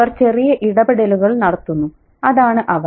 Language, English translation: Malayalam, They make small interventions, but that's what they are